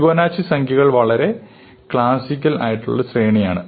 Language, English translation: Malayalam, So, the Fibonacci numbers are defined, it is a very classical sequence